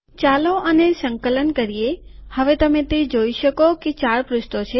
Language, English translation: Gujarati, Let us compile this, now you see that 4 pages are there